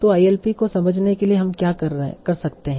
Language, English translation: Hindi, And then we will see what will be the form of the ILP